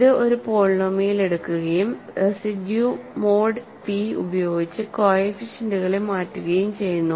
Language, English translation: Malayalam, It takes a polynomial and simply changes the coefficients by the residues mod p